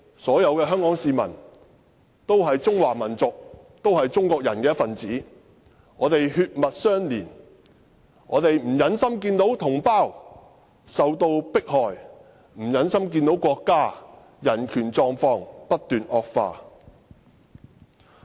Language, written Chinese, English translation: Cantonese, 所有香港市民都是中華民族的一分子，我們血脈相連，我們不忍心看到同胞受到迫害，也不忍心看到國家的人權狀況不斷惡化。, All Hong Kong people are members of the Chinese nation . We are of the same blood and we cannot bear to see compatriots being persecuted and we cannot bear to see the continuous deterioration of the human rights situation in the Mainland